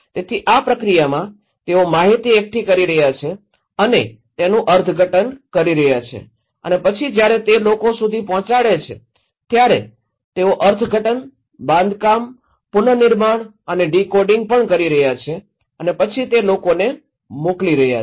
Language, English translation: Gujarati, So in this process, they are collecting and interpreting and then when they are passing it to the people they are also interpreting, constructing, reconstructing and decoding and then they are sending it to the people